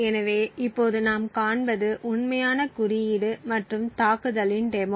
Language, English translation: Tamil, So, what we will see now is the actual code and a demonstration of the attack